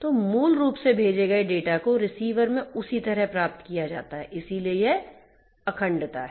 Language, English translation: Hindi, So, basically the data that are sent are exactly received in the same way at the receiver right; so, that is integrity